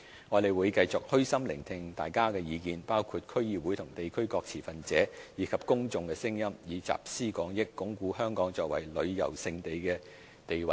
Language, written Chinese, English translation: Cantonese, 我們會繼續虛心聆聽大家的意見，包括區議會和地區各持份者，以及公眾的聲音，以集思廣益，鞏固香港作為旅遊勝地的地位。, We will continue to gauge a wide range of views by humbly listening to the views of the District Councils the stakeholders of the local communities and the public so as to reinforce Hong Kongs position as a premier tourist destination